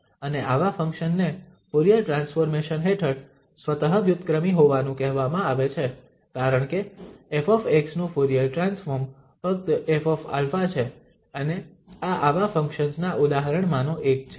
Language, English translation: Gujarati, And such a function is said to be self reciprocal under the Fourier transformation because the Fourier transform of f x is just f alpha and this is one of the examples of such functions